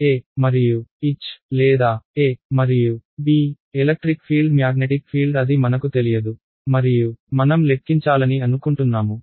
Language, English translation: Telugu, E and H or E and B, electric field magnetic field this is what I do not know and I want to calculate right